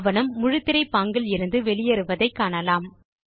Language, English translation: Tamil, We see that the document exits the full screen mode